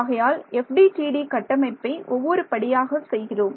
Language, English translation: Tamil, So, we are building the FDTD in complexity step by step